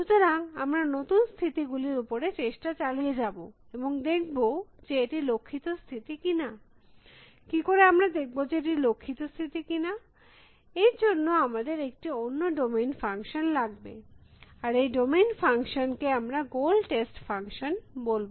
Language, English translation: Bengali, So, will keep trying out new states and seeing whether that is the goal state or not, how do we see whether there is we are in the goal state or not, we need another domain function and that domain function, we will call as a goal test function